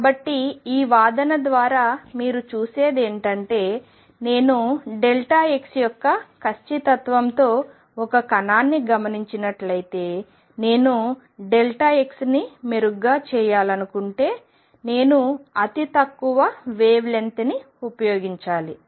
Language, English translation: Telugu, So, what you see through this argument is that if I were to observe a particle with an accuracy of delta x, if I want to make delta x better and better I have to use shorter and shorter wavelength